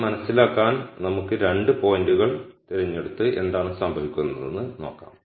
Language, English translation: Malayalam, To understand this let us pick two points and see what happens